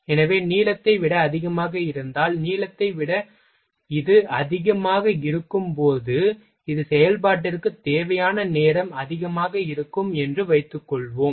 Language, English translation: Tamil, So, whatever if length is more than, suppose that if length is more than, the time required from for this operation is higher